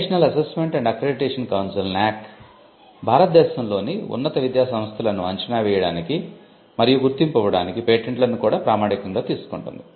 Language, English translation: Telugu, The National Assessment and Accreditation Council also uses patents when it comes to assessing and accrediting higher education institutions in India